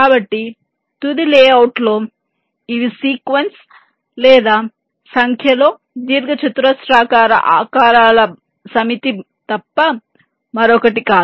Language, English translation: Telugu, so in the final layout, it is nothing but ah sequence or a set of large number of rectangular shapes